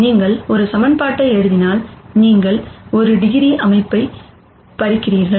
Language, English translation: Tamil, If you write one equation you are taking away one degree of freedom